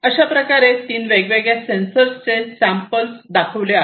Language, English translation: Marathi, So, let me now show you some of these different sensors